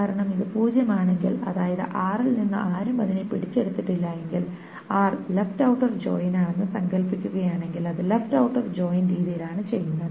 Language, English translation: Malayalam, Because if it is zero meaning nobody from R has caught it and R is suppose the left outer joint is done in the left outer joint manner